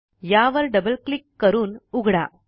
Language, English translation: Marathi, Double click on it and open it